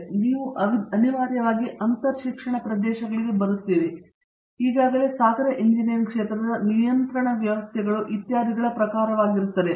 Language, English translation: Kannada, So, you inevitably come to interdisciplinary areas, even in this already multidisciplinary area of ocean engineering that would be in terms of control systems etcetera